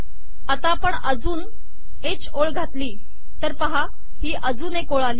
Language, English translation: Marathi, If I put another h line here, see a line has come